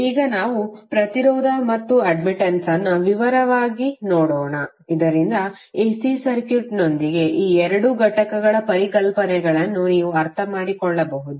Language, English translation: Kannada, Now let us look at impedance and admittance in detail so that you can understand the concepts of these two entities with relations to the AC circuit